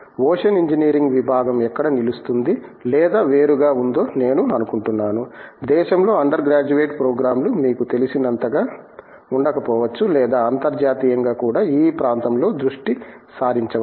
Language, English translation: Telugu, One of the things I think where the ocean engineering department stands out or stands apart, is the fact that may be there are not enough you know undergraduate programs around in the country or may be even internationally which are focused on in this area